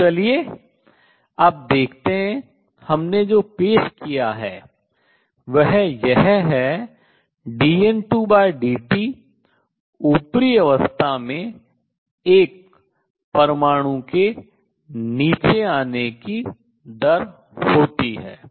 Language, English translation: Hindi, So, let us see now what we have introduced is that dN 2 by dt an atom in upper state has this rate of coming down and when it comes down it gives out photons